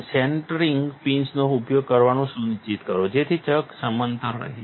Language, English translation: Gujarati, Make sure to use the centering pins so that the chuck is leveled